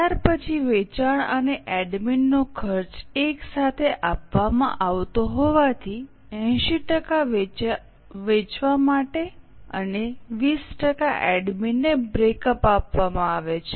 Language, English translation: Gujarati, Since the cost of selling and admin is given together, breakup is given for selling 80% and admin 20%